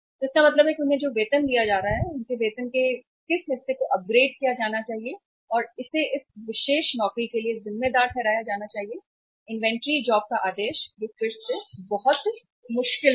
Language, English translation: Hindi, So it means the salaries they are being paid, what part of their salary should be say apportioned and that should be attributed to this particular job, the ordering of the inventory job, that is again very difficult